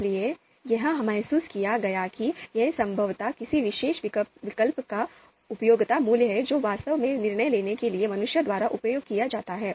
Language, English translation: Hindi, So therefore, it was realized that it is probably the utility value of a particular alternative that is actually used by humans for decision makings